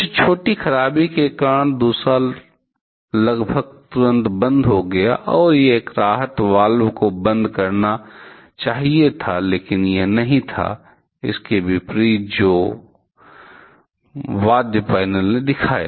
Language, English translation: Hindi, Some minor malfunction that caused the second reacted to shutdown almost immediately and a relief valve which was supposed to close, but it was, it did not contrary to what the instrument instrumental panel showed